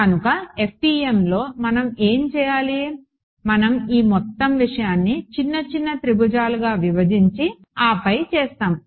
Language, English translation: Telugu, So, what is what do we have to do in the FEM, we will be breaking this whole thing into little triangles right all over and then doing